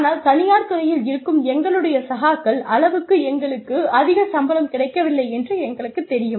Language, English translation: Tamil, But, still, we already know that, we are not getting, as much salary, as our peers, in the private sector are getting